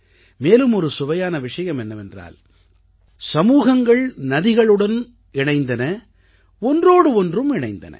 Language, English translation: Tamil, And the interesting thing is that, not only did it bring the society closer to the rivers, it also brought people closer to each other